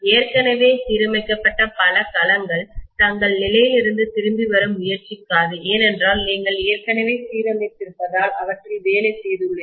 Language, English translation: Tamil, Many of the domains which are already aligned, they will not try to come back from their position because already aligned you have done from work on them